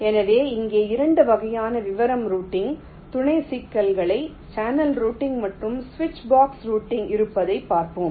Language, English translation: Tamil, so here we shall see later there are two kinds of detail routing sub problems: channel routing and switch box routing